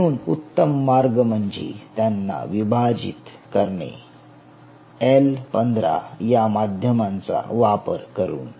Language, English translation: Marathi, so the best way is to isolate them in a medium called l fifteen, l fifteen